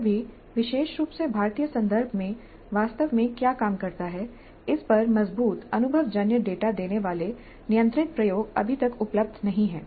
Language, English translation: Hindi, Still, controlled experiments giving us strong empirical data on what really works particularly in Indian context is not at available